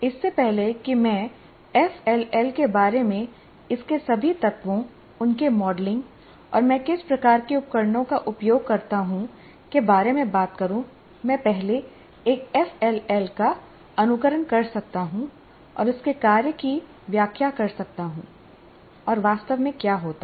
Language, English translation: Hindi, That is, before I talk about FLL, in terms of all its elements, their modeling, and what kind of devices that I use, even before that, I can first simulate an FLL and explain its function what exactly happens